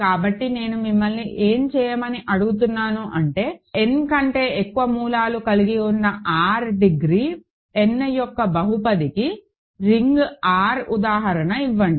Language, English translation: Telugu, So, what I am asking you to do is, give an example of a ring R and a polynomial of degree n over R which has more than n roots